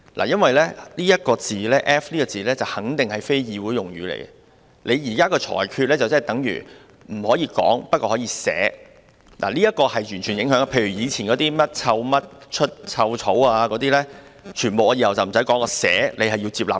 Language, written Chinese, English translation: Cantonese, 因為這個 "F 字"肯定是非議會用語，你現在的裁決等於不可以說但可以寫，這是絕對有影響的，例如過去的甚麼"臭甚麼出臭草"，那些全部我往後都不說，但我寫出來，你也要接納。, As this F - word is certainly an unparliamentary word your current ruling is tantamount to forbidding it to be uttered but allowing it to be written which definitely has repercussions . Take for example something like foul grass grows out of a foul thingy said in the past . In future if I refrain from saying all those words but write them out then you will have no choice but to accept them